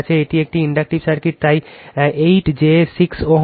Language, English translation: Bengali, This is an inductive circuit, so 8 plus j 6 ohm